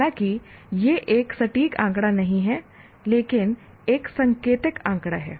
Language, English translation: Hindi, Though I am not, that is not an exact figure but an indicative figure